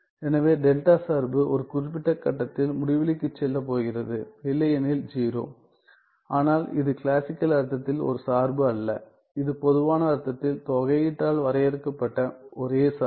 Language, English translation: Tamil, So, delta function is going to go to infinity at a particular point and 0 otherwise, but as such it is not a function in the classical sense, its only function in the generalized sense as defined by this integral